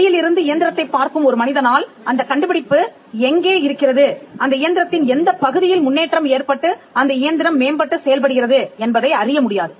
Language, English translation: Tamil, It is not possible for a person who sees the engine from outside to ascertain where the invention is, or which part of the improvement actually makes the engine better